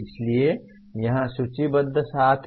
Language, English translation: Hindi, So there are seven that are listed here